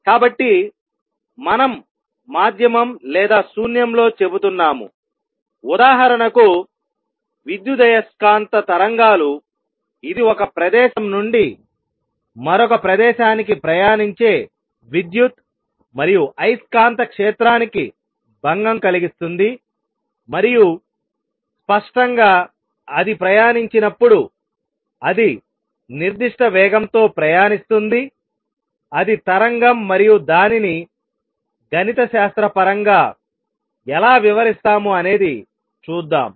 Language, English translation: Telugu, So, we are saying medium or in vacuum; for example, electromagnetic waves which is the disturbance of electric and magnetic field travelling from one place to another and obviously, when it travels, it travels with certain speed; that is the wave and how do we describe it mathematically let us see that